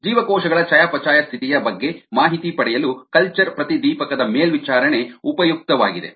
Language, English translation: Kannada, the monitoring of culture florescence is useful for obtaining information on the metabolic status of cells